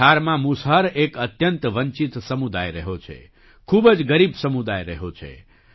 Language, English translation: Gujarati, Musahar has been a very deprived community in Bihar; a very poor community